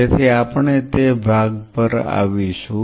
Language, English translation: Gujarati, So, we will come later into that